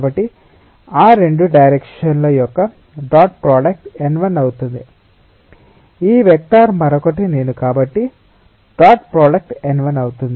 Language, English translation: Telugu, so the dot product of those two directions will be in: one is this vector, another is i, so the dot product will be n one